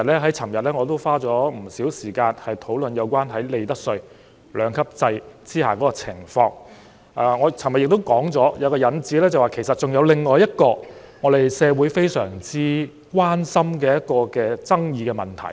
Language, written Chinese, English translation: Cantonese, 我昨天已花了不少時間討論在利得稅兩級制下的情況，我還提出，就着今次一次性扣減，其實還有另一個社會相當關心的爭議問題。, Yesterday I already spent quite some time discussing the situation under a two - tier profits tax regime . I also mentioned that as regards this one - off tax reduction there is actually another controversial issue of concern in society